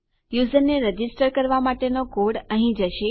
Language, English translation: Gujarati, Our code to register the user will go here